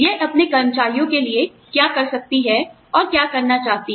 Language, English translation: Hindi, What it can, and wants to do, for its employees